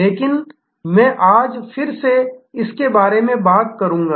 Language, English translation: Hindi, But, I will talk about it again today